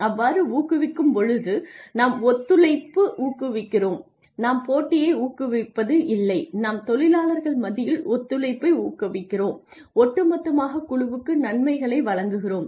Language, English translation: Tamil, So, when we incentivize the team we encourage cooperation we not competition we encourage cooperation among workers and we give benefits to the team as a whole